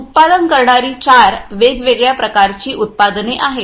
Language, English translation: Marathi, is a producing four different kinds of products